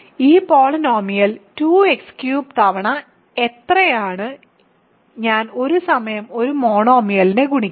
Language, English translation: Malayalam, So, what is 2 x cubed times this polynomial I will multiply one monomial at a time